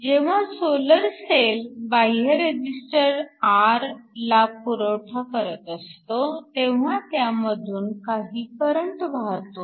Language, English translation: Marathi, So, when a solar cell is essentially driving an external resistor R, there is some current that is flowing through